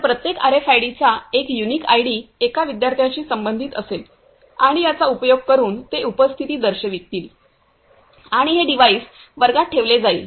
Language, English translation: Marathi, So, each RFID their unique ID will be associated to one student and using this they will mark attendance and this device will be placed in the class